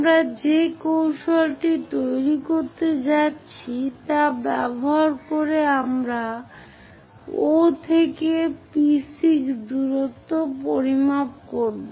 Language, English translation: Bengali, Using that strategy what we are going to construct is O to P6 we will measure the distance